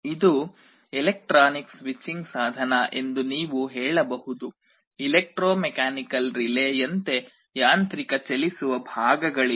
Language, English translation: Kannada, This you can say is an electronic switching device, there is no mechanical moving parts like in an electromechanical relay